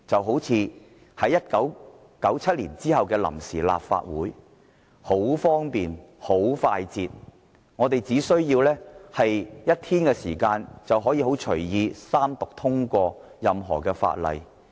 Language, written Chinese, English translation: Cantonese, 好像1997年之後的臨時立法會，當時很方便、很快捷，只須1天時間就可以隨意三讀通過任何法案。, In 1997 the Provisional Legislative Council dealt with its business very conveniently and speedily; it only took one day to go through three readings of any bill and pass it